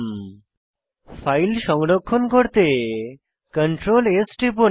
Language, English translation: Bengali, Then, Press Ctrl S to save the file